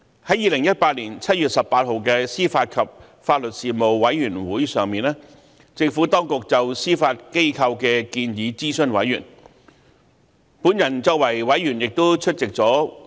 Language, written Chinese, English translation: Cantonese, 在2018年7月18日的司法及法律事務委員會上，政府當局就司法機構的建議諮詢委員。, At the meeting of the Panel on Administration of Justice and Legal Services the Panel on 18 July 2018 the Administration consulted members of the Panel on the Judiciarys Proposals